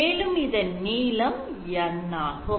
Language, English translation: Tamil, So basically, we are talking about a length N